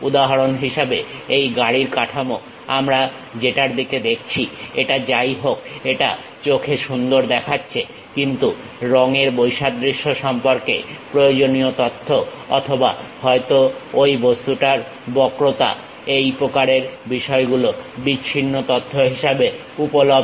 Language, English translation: Bengali, For example: this car body whatever these we are looking at, it looks nice to eyes, but the essential information about color contrast or perhaps the curvature of that object; these kind of things are available at discrete information